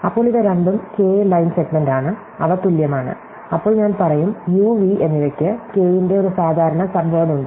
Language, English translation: Malayalam, Then these are both are k line segment which are equal, then I will say that u and v have a common subword of length k